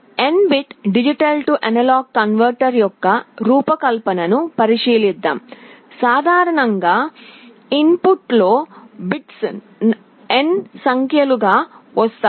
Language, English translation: Telugu, Let us consider the design of an n bit D/A converter; in general there are n number of bits that are coming in the input